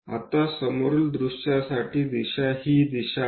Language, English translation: Marathi, Now, the direction for front view is this direction